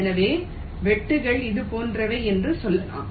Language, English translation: Tamil, so let say, the cuts are like this